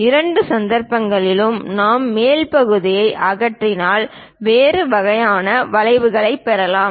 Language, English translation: Tamil, In both the cases if we are removing the top part, we will get different kind of curves